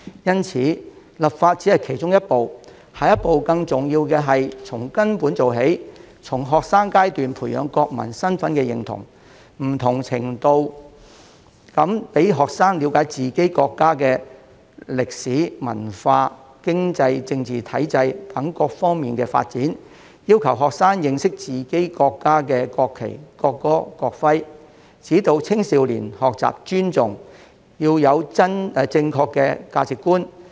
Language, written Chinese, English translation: Cantonese, 因此，立法只是其中一步，更重要的下一步是要從根本做起，從學生階段培養國民身份認同，在不同程度上讓學生了解自己國家的歷史、文化、經濟、政治體制等各方面的發展，要求學生認識自己國家的國旗、國歌及國徽，指導青少年學習尊重和建立正確的價值觀。, Hence the enactment of legislation is only one of the steps that we should take while a more important step in the next stage is to take fundamental actions by instilling a sense of national identity in students promoting to different extents their understanding of the development of our country in such areas as history culture economy and political system requiring students to have knowledge of the national flag national anthem and national emblem of our country and providing guidance to young people for learning to respect and developing a correct sense of value